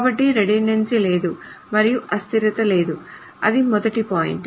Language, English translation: Telugu, So there is no redundancy and there is no inconsistency